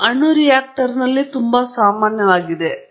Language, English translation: Kannada, This is very common in nuclear reactors and so on